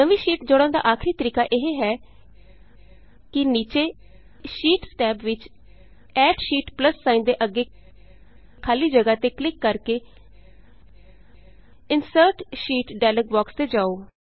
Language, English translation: Punjabi, The last method of inserting a new sheet by accessing the Insert Sheet dialog box is by simply clicking on the empty space next to the Add Sheet plus sign in the sheet tabs at the bottom